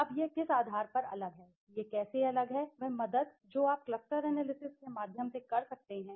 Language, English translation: Hindi, Now, how it is different on what basis it is different that help that you can through cluster analysis right